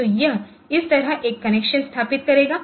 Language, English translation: Hindi, So, it will establish a connection like this ok